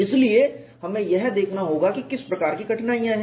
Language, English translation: Hindi, So, we will have to look at what is the kind of difficulties